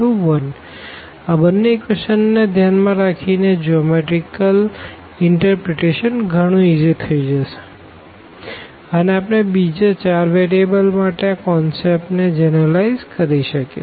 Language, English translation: Gujarati, So, considering this these two equations because, the geometrical interpretation will be very easy and then we can generalize the concept for 4 more variables